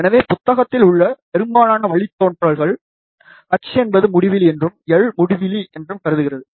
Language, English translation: Tamil, So, most of the derivations in the book, assume h to be infinity and l to be infinity, however practically that will never be the case